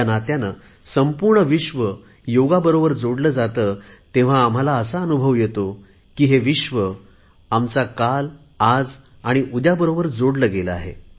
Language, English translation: Marathi, As an Indian, when we witness the entire world coming together through Yoga, we realize that the entire world is getting linked with our past, present and future